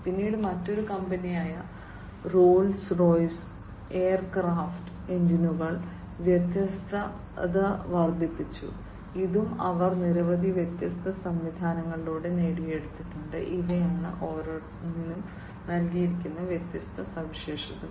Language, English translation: Malayalam, Then another company Rolls Royce increased reliability in aircraft engines, and this also they have achieved through a number of different mechanisms, and these are the different features that have been given for each of them